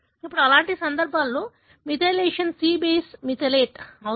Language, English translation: Telugu, Now in such cases, the methylation, the C base gets methylated